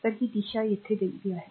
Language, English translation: Marathi, So, it is this direction is given here